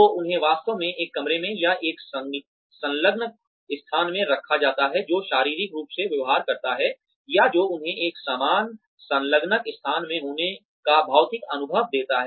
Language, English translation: Hindi, So, they are actually put in a room, or in an enclosed space, that behaves physically, or that gives them the physical experience, of being in a similar enclosed space